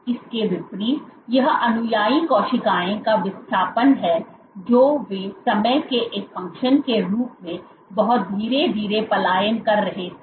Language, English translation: Hindi, So, this is a displacement of the follower cells they were migrating much slowly as a function of time